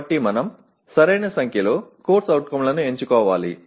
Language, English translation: Telugu, So we need to select the right number of COs